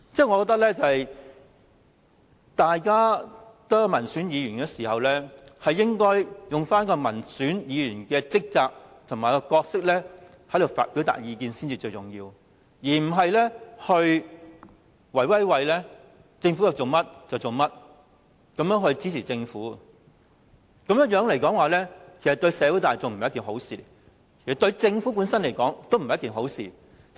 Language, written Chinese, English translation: Cantonese, 我覺得大家同為民選議員，應該用民選議員的職責和角色表達意見才重要，而不是政府要做甚麼議員便盲目支持政府，這樣對社會大眾和政府本身也不是好事。, Given that we both are Members elected by the people we should express our views in the capacity or role of a publicly - elected Member rather than blindly supporting what the Government wants us to do . This is not a good thing to the general public or the Government